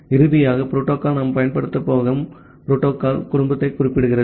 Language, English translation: Tamil, And finally, the protocol specifies the protocol family that we are going to use